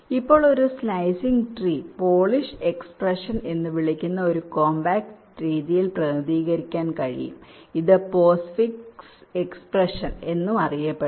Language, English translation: Malayalam, now a slicing tree can be represented in a compact way by a, some something call a polish expression, also known as a postfix expression